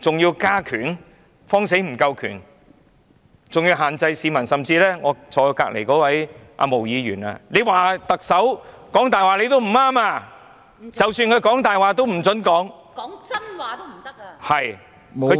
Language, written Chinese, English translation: Cantonese, 還怕權力不夠，還要限制市民，甚至我旁邊的毛議員指特首說謊也不行，即使特首說謊，也不准說出來......, Is that still not enough? . He has forbade people or even Ms Claudia MO sitting beside me to call the Chief Executive a liar . Even if the Chief Executive has lied we are not allowed to point it out